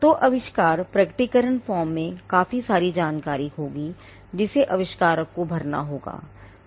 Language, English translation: Hindi, So, the invention disclosure form will have quite a lot of quite a lot of information, for the to be filled by the inventor